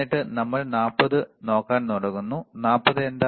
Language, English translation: Malayalam, And then we start looking at 40 so, what is 40